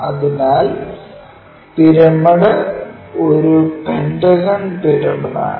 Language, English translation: Malayalam, So, a pyramid is a pentagonal pyramid